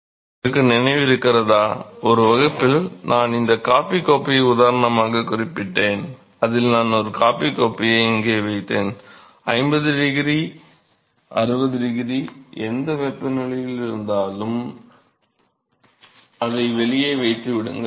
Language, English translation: Tamil, You remember one of the classes I mention this coffee cup, example where I just place a coffee cup here and then which is let us say, that 50 degree 60 degree whatever temperature and then you leave it out leave it there isolated